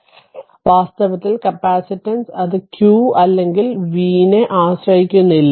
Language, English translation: Malayalam, So, in fact capacitance it does not depend on q or v right